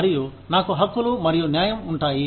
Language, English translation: Telugu, And, we have, rights and justice